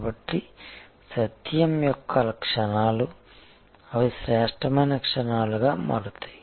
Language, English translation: Telugu, So, the moments of truth becomes, they become moments of excellence